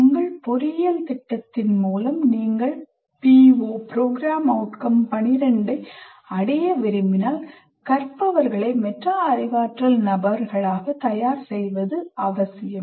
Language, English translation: Tamil, So if you want to attain PO 12 through your engineering program, it is necessary to prepare learners as metacognitive persons